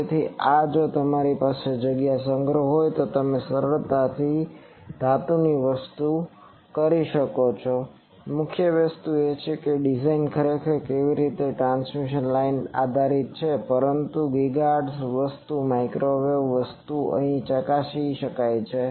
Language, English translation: Gujarati, So, this also if you have storage of space, you can easily this is simply metal thing the main thing is that design actually how the it is a transmission line based design, but GHz thing microwave things can be tested here